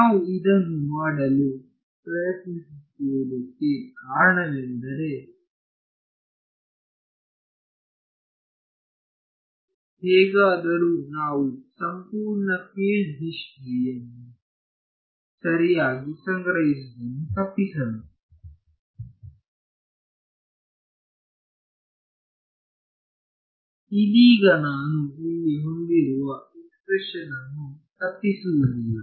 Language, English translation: Kannada, The whole reason that we were trying to do this is, somehow we want to avoid having to store the entire field history right; right now the expression that I have over here this expression does not avoid that